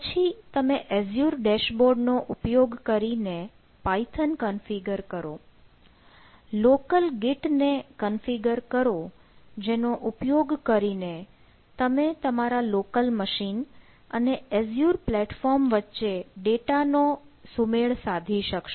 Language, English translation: Gujarati, then you configure ah python in in the the in the particular, using the azure ah dashboard, configure local kit which will allow you to sing the data ah between the, between your local machine and the ah that in the azure and the azure platform